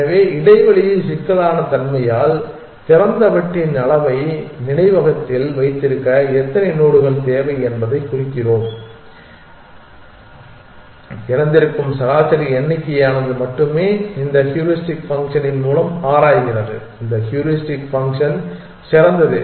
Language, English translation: Tamil, So, similarly by space complexity we mean the size of the open disk how many nodes does it need to keep in the memory only those mean number of open it explore by this heuristic function this heuristic function is there's the best